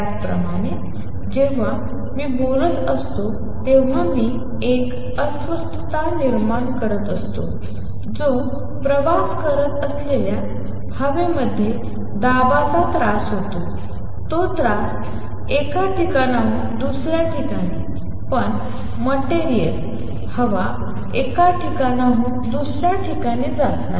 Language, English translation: Marathi, Similar, when am talking I am creating a disturbance a pressure disturbance in the air which travels; that disturbance travel from one place to other, but the material; the air does not go from one place to another